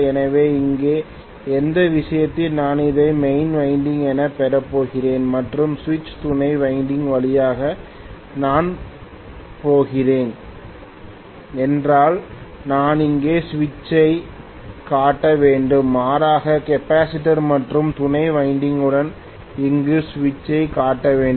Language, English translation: Tamil, So in which case here if I am going to have actually this as the main winding and I am going to have through the switch auxiliary winding I should show the switch here, rather I should show the switch here along with the capacitor and auxiliary winding